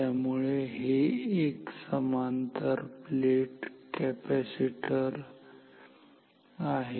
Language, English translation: Marathi, So, it is a parallel plate capacitor